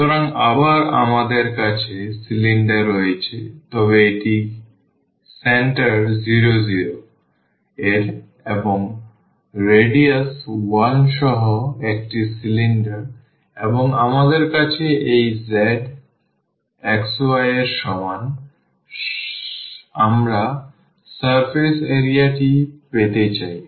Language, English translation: Bengali, So, again we have the cylinder, but it is it is a cylinder with center 0 0 and radius 1 and we have this z is equal to x y we want to get the surface area